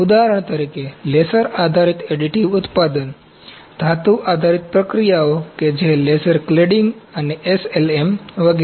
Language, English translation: Gujarati, For example, laser based additive manufacturing, metal based processes that is laser cladding and SLM etc